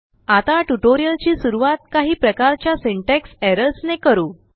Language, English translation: Marathi, Lets begin the tutorial with some types of syntax errors